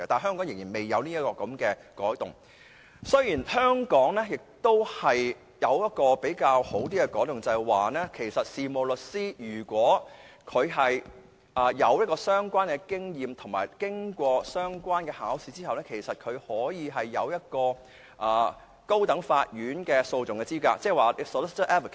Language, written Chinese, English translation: Cantonese, 香港未有這方面改動，但香港亦有一個比較好的改動，就是如果事務律師具有相關經驗並經過相關考試，可以獲得在高等法院訴訟的資格，成為 "solicitor advocate"。, Such a change has not been made in Hong Kong but a rather desirable change has been made here ie . if a solicitor has the relevant experience and passes the examination he will be qualified as a solicitor advocate with rights of audience in the High Court